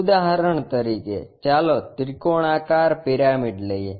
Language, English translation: Gujarati, For example, let us take triangular pyramid